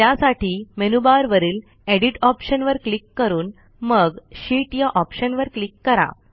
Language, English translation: Marathi, Click on the Edit option in the menu bar and then click on the Fill option